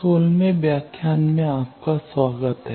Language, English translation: Hindi, Welcome to the sixteenth lecture